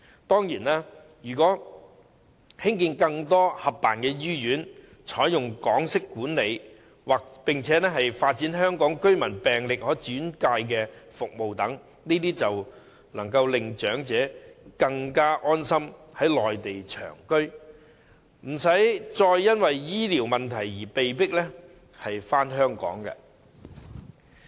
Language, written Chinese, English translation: Cantonese, 當然，如果興建更多合辦醫院，採用港式管理，並且發展香港居民病歷可轉介服務等，長者便可以安心於內地長居，無需因為醫療問題而被迫返港。, Certainly with the construction of more jointly - operated hospitals with Hong Kong - style management and also the development of health record transfer services for Hong Kong residents elderly people can live on the Mainland on a long - term basis without any worries and need to return to Hong Kong reluctantly due to medical problems